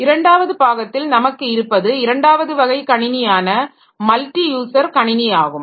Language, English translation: Tamil, The second part, second type of system that we have is the multi user computers